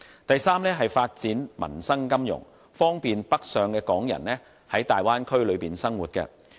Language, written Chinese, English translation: Cantonese, 第三，是發展民生金融，方便北上的港人在大灣區內生活。, Third it is developing livelihood finance to bring convenience to Hong Kong people who go and live in the Bay Area